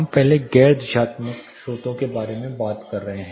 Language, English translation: Hindi, Then we will talk about the directional and non directional sources